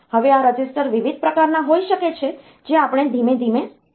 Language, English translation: Gujarati, Now, these registers may be of different types that we will see slowly